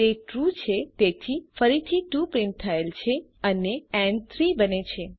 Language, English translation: Gujarati, since it is true, again 2 is printed and n becomes 3